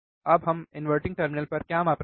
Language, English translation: Hindi, Now what we measure at inverting terminal